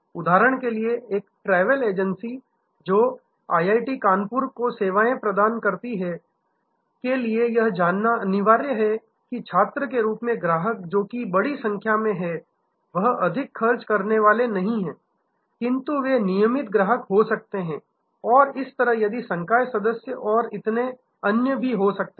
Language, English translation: Hindi, For example, a travel agency servings IIT, Kanpur has to know that the student customers who are big in number, they are not high spenders, but they can be regular customers, similarly if the faculty and so on